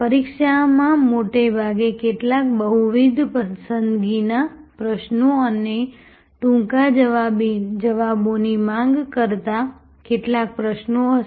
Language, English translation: Gujarati, The examination will mostly have some multiple choice questions and some questions demanding short answers